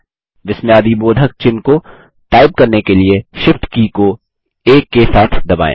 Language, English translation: Hindi, To type the exclamation mark, press the Shift key together with 1